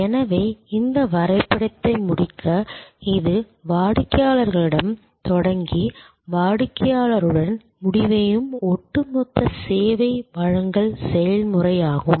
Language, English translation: Tamil, So, to complete this diagram therefore, this is the overall service delivery process which starts with customer and ends with the customer